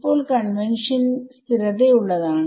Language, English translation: Malayalam, So, now, the convention is consistent